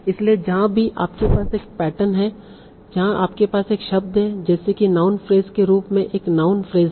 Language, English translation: Hindi, So whenever you have a pattern where you have a word like such, there is a non phrase, as non phrase